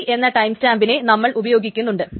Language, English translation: Malayalam, So, using this timestamp T